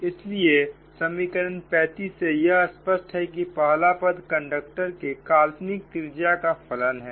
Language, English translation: Hindi, now from this equation thirty five it is clear that first term is only a function of the fictitious radius of the conductor